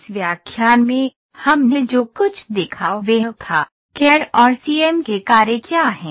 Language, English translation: Hindi, In this lecture, what all we saw was, in a entire CAD, we saw what is the function of CAD, CAM